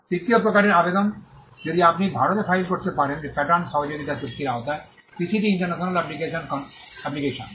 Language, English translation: Bengali, The third type of application you can file in India is the PCT international application under the Pattern Cooperation Treaty